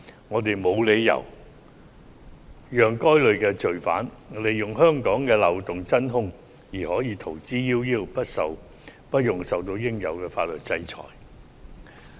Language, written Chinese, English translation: Cantonese, 我們沒有理由讓該類罪犯利用香港的漏洞而逃之夭夭，不用受到應有的法律制裁。, There is no reason for Hong Kong to let such criminals go unpunished by taking advantage of our loopholes and escape from the legal sanctions they deserve